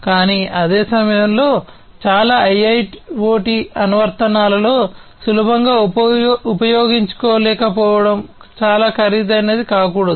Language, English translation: Telugu, But at the same time it should not be too expensive to be not being able to use easily in most of the IIoT applications